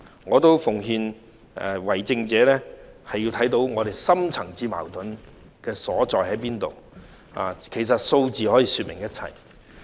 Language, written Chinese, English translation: Cantonese, 我也奉勸為政者，需要看到深層次矛盾的所在，而其實數字可以說明一切。, I have to give a piece of advice to the governing officials that they need to see where the deep - seated conflicts lie . And in fact figures can tell the whole picture